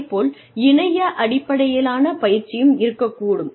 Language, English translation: Tamil, Then, internet based training, could be there